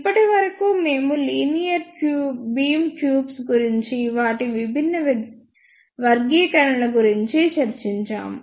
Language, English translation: Telugu, Till now we have discussed about the linear beam tubes, their different classifications